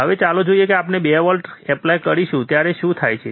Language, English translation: Gujarati, Now, let us see when we applied 2 volts, what happens